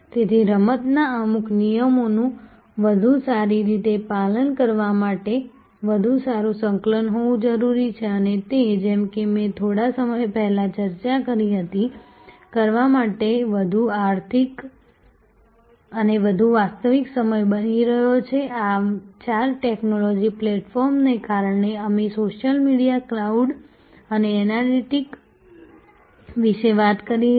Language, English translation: Gujarati, So, there has to be much better coordination much better adherence to certain rules of the game and that of course, as I discussed a little while back is now, becoming more economic to do and more real time to do, because of these four technology platforms, that we talked about social media, cloud and analytics